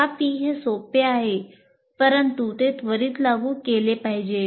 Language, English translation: Marathi, But it should be immediately applied